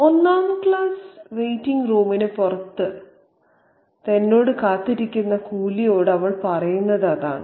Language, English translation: Malayalam, So, that's what she tells the coolly who is having a conversation with her outside the first class waiting room